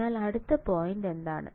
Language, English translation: Malayalam, So, what is the example